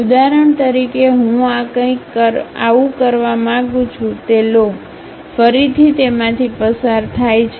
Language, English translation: Gujarati, For example, I would like to have something like this, take that, again comes pass through that